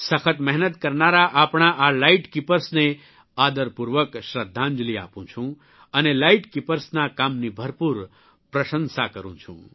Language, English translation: Gujarati, I pay respectful homage to these hard workinglight keepers of ours and have high regard for their work